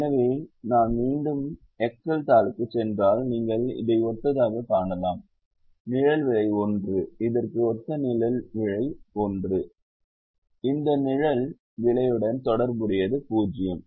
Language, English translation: Tamil, so if i go back to the excel sheet you find, corresponding to this shadow price is one corresponding to this shadow price